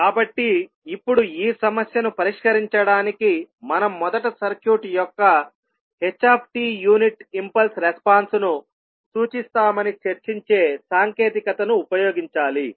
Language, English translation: Telugu, So now to solve this problem we have to first use the technique which we discuss that we will first point the unit impulse response that is s t of the circuit